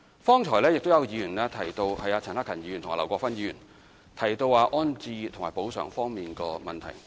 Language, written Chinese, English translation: Cantonese, 方才有議員，包括陳克勤議員和劉國勳議員，提到安置及補償方面的問題。, Just now some Members including Mr CHAN Hak - kan and Mr LAU Kwok - fan talked about resettlement and compensation issues